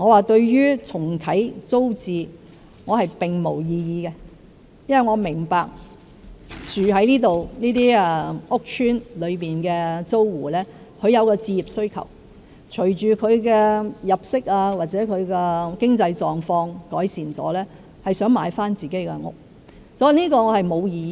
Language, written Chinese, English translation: Cantonese, 對於重啟租置計劃，我並無異議，因為我明白住在這些屋邨單位的租戶有置業需求，隨着他們的入息或經濟狀況改善，他們會想買回所居住的單位。, I have no objection to reintroducing TPS since I understand the home ownership needs of PRH tenants . As these tenants have higher incomes and better financial conditions they would like to purchase the flats in which they are living